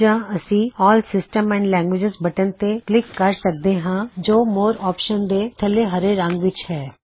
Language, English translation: Punjabi, Or we can click on the All Systems and Languages link below the green area for more options